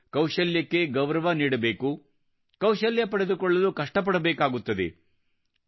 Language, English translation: Kannada, We have to respect the talent, we have to work hard to be skilled